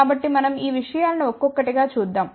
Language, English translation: Telugu, So, we will see these things one by one